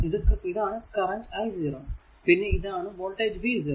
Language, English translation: Malayalam, Across is voltage is v 0 here across voltage is v 2